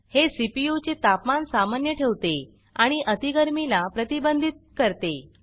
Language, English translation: Marathi, It keeps the temperature of the CPU normal and prevents overheating